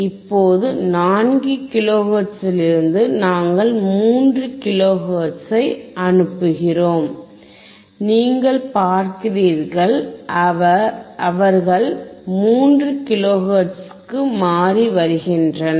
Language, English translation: Tamil, Now from 4 kilohertz, we are sending to 3 kilo hertz, you see they are changing the 3 kilo hertz still it is working well